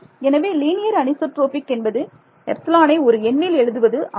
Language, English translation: Tamil, So, linear anisotropic means I can write epsilon as a number